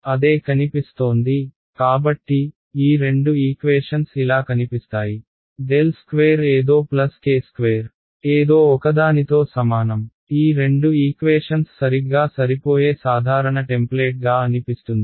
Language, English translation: Telugu, Looks the same right, so, the both of these equations look like this del squared something plus k squared something is equal to something; that seems to be the general template into which these two equation are fitting right